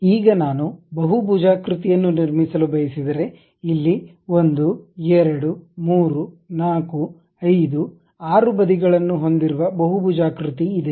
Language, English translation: Kannada, Now, if I would like to construct a polygon for example, here polygon having 1 2 3 4 5 6 sides are there